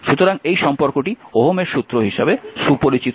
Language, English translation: Bengali, So, this if this relationship is known as your Ohm’s law